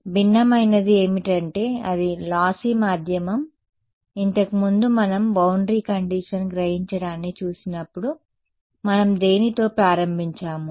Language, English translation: Telugu, So, what is different is it is a lossy medium; previously when we had looked at absorbing boundary condition what did we start with